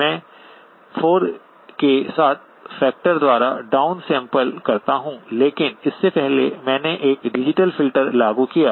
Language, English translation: Hindi, I am going to down sample by a factor of 4, but before that I applied a digital filter